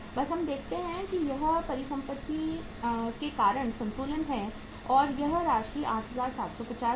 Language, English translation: Hindi, Just we see this is the balance because of the asset side being more than the liability side by this amount 8750